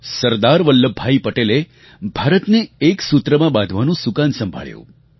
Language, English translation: Gujarati, Sardar Vallabhbhai Patel took on the reins of weaving a unified India